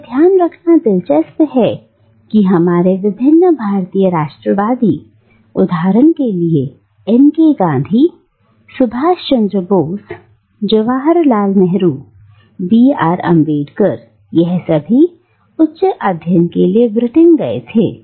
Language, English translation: Hindi, And it is interesting to note that many of our Indian nationalists like M K Gandhi, for instance, Subhas Chandra Bose, Jawaharlal Nehru, B R Ambedkar, they all went to Britain for their higher studies